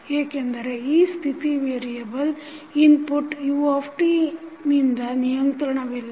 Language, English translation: Kannada, Because this state variable is not controllable by the input u t